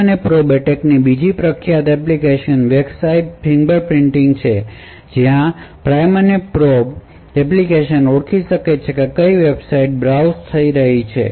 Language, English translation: Gujarati, Another famous application of the prime and probe attack was is for Website Fingerprinting where the Prime and Probe application can identify what websites are being browsed